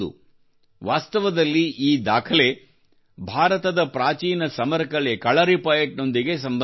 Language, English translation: Kannada, Actually, this record is related to Kalaripayattu, the ancient martial art of India